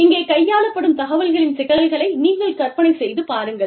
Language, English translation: Tamil, You can imagine, the complexity of information, that is being handled here